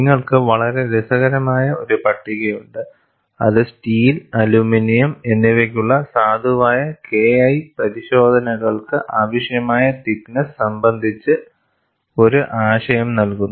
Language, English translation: Malayalam, And you also have a very interesting table, which gives an idea about the thicknesses required for valid K 1 C tests for steel and aluminum